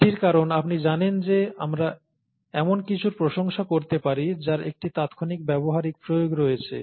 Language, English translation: Bengali, That is because you know we tend to appreciate something that has an immediate practical application